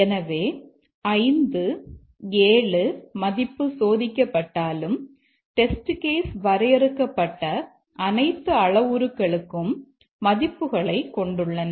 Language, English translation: Tamil, So even though the 5 7 it is tested but a test case, so these are test cases which have values for all the parameters defined